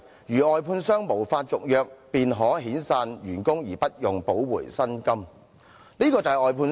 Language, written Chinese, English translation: Cantonese, 外判商如無法續約，便可遣散員工而無需補償遣散費。, If the contractors concerned fail to secure contract renewal workers will be dismissed without any severance payments